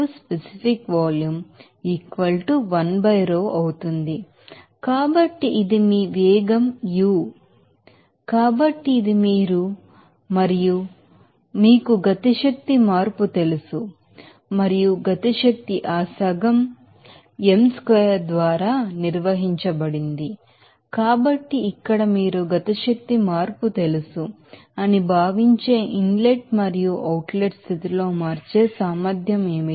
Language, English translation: Telugu, So, this your velocity as u, so, this is u and so, what will be the ability to change in the inlet and outlet condition that will be regarded as what is that you know kinetic energy change and since kinetic energy is defined by that half m u squared, so, here m is common factor m dot so, it would be you know kinetic energy change